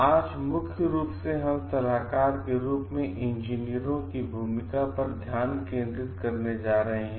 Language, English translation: Hindi, Today mainly we are going to focus on the role of engineers as consultants